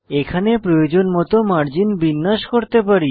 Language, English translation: Bengali, Here,we can adjust the margins as required